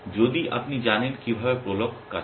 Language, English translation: Bengali, If you know how prolog works